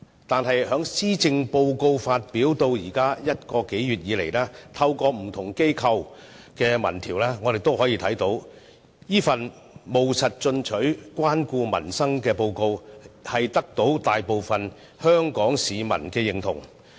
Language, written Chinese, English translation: Cantonese, 但是，施政報告發表至今一個月來，透過不同機構舉辦的民調可見，這份務實進取，關顧民生的報告，獲大部分香港市民的認同。, However it has been one month since the delivery of the Policy Address and judging from the findings of different opinion surveys conducted by various institutions the Policy Address is considered pragmatic proactive caring for peoples livelihood and has earned the support of a majority of the people of Hong Kong